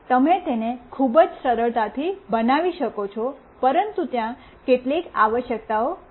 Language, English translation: Gujarati, You can build it very easily, but there are certain requirements